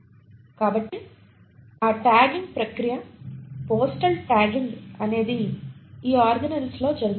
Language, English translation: Telugu, So that tagging process, the postal tagging happens in these organelles